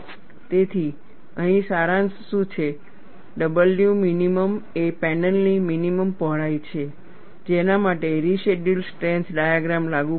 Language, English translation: Gujarati, So, what, summary here is, W minimum is the minimum panel width for which, the residual strength diagram is applicable